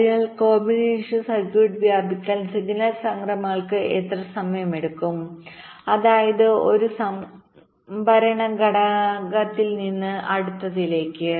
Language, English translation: Malayalam, so how long signal transitions will take to propagate across the combinational circuit means from one storage element to the next